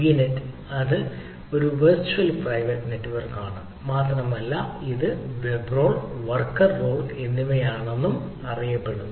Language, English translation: Malayalam, vnet, this is a virtual private network and this also is known that web role and worker role